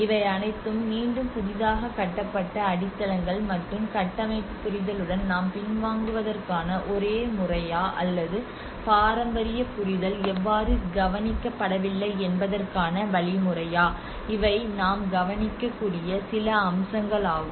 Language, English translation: Tamil, And these are all again the new constructed plinths and whether is it the only method we have going aback with the structural understanding or how the traditional understanding has been overlooked, these are some aspects we can look at